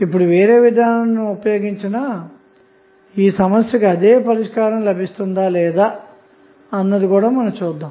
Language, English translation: Telugu, Now, if you solve this problem using different approach whether the same solution would be obtained or not let us see